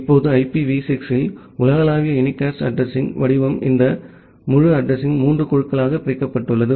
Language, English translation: Tamil, Now the global unicast address format in IPv6 this entire address is divided into 3 groups